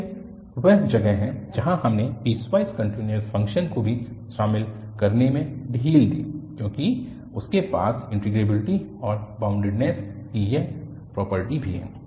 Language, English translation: Hindi, So, this is where we relaxed to include the piecewise continuous functions as well because they also have this property of integrability and the boundedness